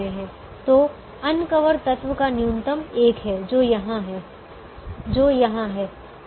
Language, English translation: Hindi, so the minimum of the uncovered element is one which is happens to be here, which happens to be here